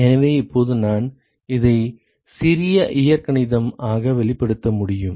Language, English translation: Tamil, So, now I can express this as, so a little bit of algebra